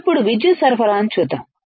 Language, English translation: Telugu, Now, let us see power supply